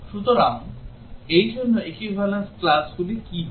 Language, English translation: Bengali, So what would be the equivalence classes for this